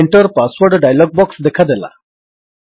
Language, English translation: Odia, The Enter Password dialog box appears